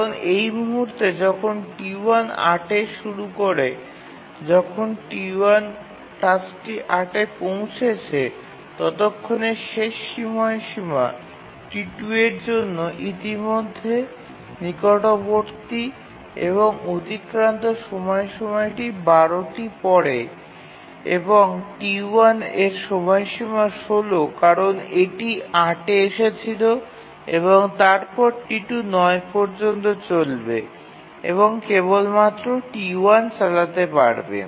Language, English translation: Bengali, Because at this point when T1 is running and at 8, the task T1 arrived at 8 but by that time the deadline for T1 is sorry T2 is near already so its deadline is 12 whereas the deadline for T1 is 16 because it arrived at 8 and therefore T2 will run here till 9 and then only T1 can run